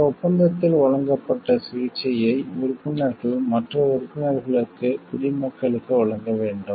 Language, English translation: Tamil, Members shall accord the treatment provided for in this agreement to the nations of other members